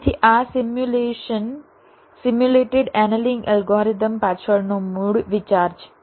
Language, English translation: Gujarati, so this is the basis idea behind the simulation, simulated annealing algorithm